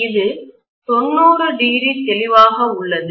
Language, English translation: Tamil, This is 90 degrees clearly